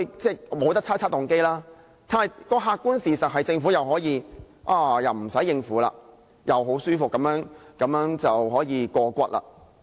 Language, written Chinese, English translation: Cantonese, 即使不可以猜測動機，但客觀事實是，政府可以再次不用應付議員，可以很舒服地過關。, If the motive can we cannot speculate on the motive but the objective fact is that the Government will once again not need to deal with Members . It can have its job done comfortably